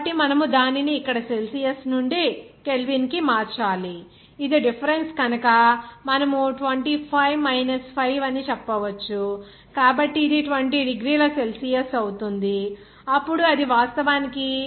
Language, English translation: Telugu, So, you have to convert it to Kelvin from the Celsius here and since it is the difference you can say that 25 5, so, it will be 20 degrees Celsius, then it is actually 293 K